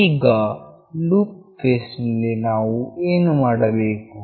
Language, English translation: Kannada, Now in the loop phase what we have to do